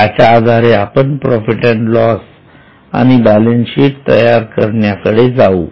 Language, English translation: Marathi, Now based on this, let us go for preparation of P&L and balance sheet